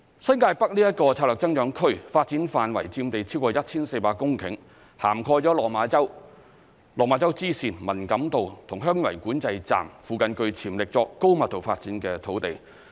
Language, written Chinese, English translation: Cantonese, 新界北策略增長區發展範圍佔地超過 1,400 公頃，涵蓋了落馬洲、落馬洲支線、文錦渡和香園圍管制站附近具潛力作高密度發展的土地。, The New Territories North strategic growth area covers a development area of more than 1 400 hectares including land in the surrounding areas of the control points of Lok Ma Chau Lok Ma Chau Spur Line Man Kam To and Heung Yuen Wai which has potential for high density development